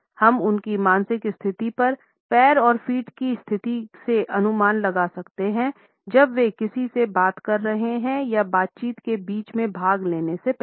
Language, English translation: Hindi, We can guess from the position of legs and feet of their mental situations while they are talking to someone or before participation in a conversation midway